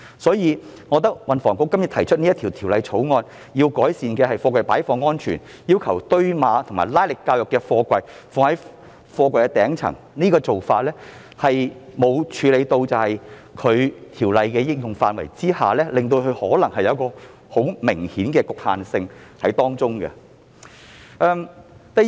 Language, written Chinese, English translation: Cantonese, 所以，我認為運輸及房屋局提出《條例草案》，希望改善貨櫃的擺放安全，並要求堆碼或推拉能力較弱的貨櫃放置於堆放貨櫃頂層的做法，其實未有處理到《條例》適用範圍可能存在的明顯局限性。, Therefore in my opinion the Bill proposed by the Transport and Housing Bureau THB which seeks to improve the safety of container storage and require containers with weaker stacking or racking capacity to be arranged at the top of a stack of containers has actually failed to address the obvious limitations in the application of the Ordinance